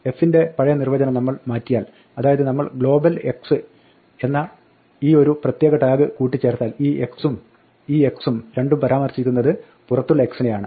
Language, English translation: Malayalam, If we change our earlier definition of f, so that we add this particular tag global x then it says that this x and this x both refer to the same x outside